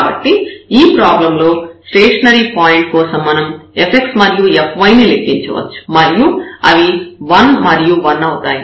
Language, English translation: Telugu, So, the stationary point for this problem we can easily compute f x and f y and they come to be 1 and 1